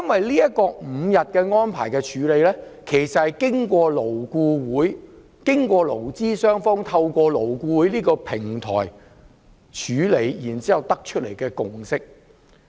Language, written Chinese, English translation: Cantonese, 五天侍產假其實是勞資雙方透過勞工顧問委員會討論後所得出來的共識。, A five - day paternity leave is the consensus reached by representatives of employers and employees in the Labour Advisory Board LAB